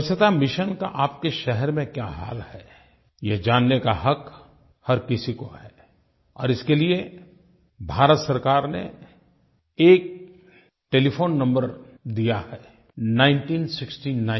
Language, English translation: Hindi, Every citizen has a right to know about the status of the cleanliness mission in his city and the Government of India has provided a dedicated telephone number 1969 for this purpose